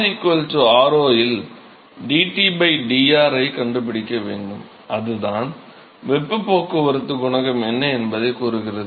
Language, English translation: Tamil, We need to find dT by dR at r equal to r0 right, that is what tells you what is the transport coefficient